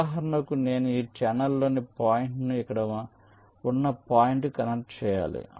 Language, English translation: Telugu, for example, i need to connect ah point here on this channel to a point here